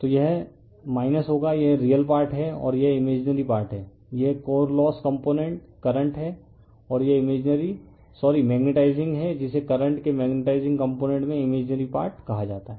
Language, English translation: Hindi, So, it will be minus sign right this is your real part and this is your imaginary part this is core loss component current and this is your imaginary sorry magnetizing your called the imaginary part in the magnetizing component of the current